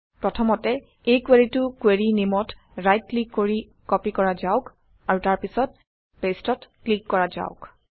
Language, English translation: Assamese, Let us first copy this query, by right clicking on the query name, and then let us click on paste